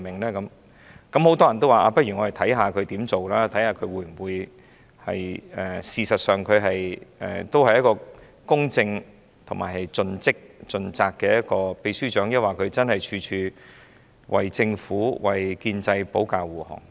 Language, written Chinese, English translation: Cantonese, 很多人也表示，且看看他怎樣工作，看看他事實上會否成為公正、盡職盡責的秘書長，抑或處處為政府、建制派保駕護航。, Many people adopted a wait - and - see attitude and chose to let time prove whether he would be a fair and responsible Secretary General or he would jump to the defence of the Government and pro - establishment camp